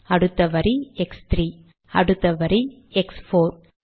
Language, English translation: Tamil, Next line x3, next line x4